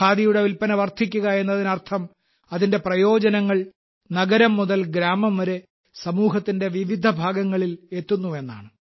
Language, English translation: Malayalam, The rise in the sale of Khadi means its benefit reaches myriad sections across cities and villages